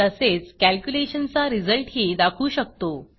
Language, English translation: Marathi, We can indeed display the result of a calculation as well